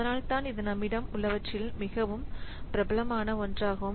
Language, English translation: Tamil, So, that is why it is one of the very popular ones that we have